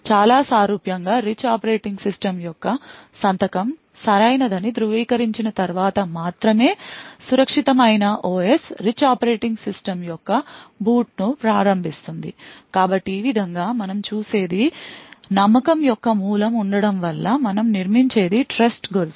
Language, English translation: Telugu, In a very similar way the secure OS initiates the boot of the rich operating system only after validating that the signature of the rich operating system is correct so in this way what we see is due to the presence of a root of trust we build a chain of trust